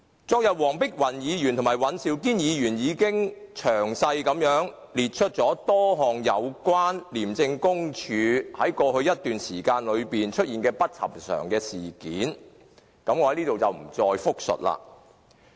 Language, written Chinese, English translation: Cantonese, 昨天，黃碧雲議員和尹兆堅議員已經詳細列出多項有關廉政公署在過去一段時間內出現的不尋常事件，我在此不再複述。, Yesterday Dr Helena WONG and Mr Andrew WAN already gave a very detailed account of various unusual happenings in the Independent Commission Against Corruption ICAC over some time in the past . I am not going to dwell on these happenings now